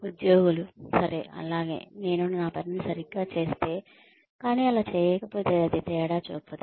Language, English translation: Telugu, Employees may say, okay, well, if I do my work properly, but so and so does not, it is not going to make a difference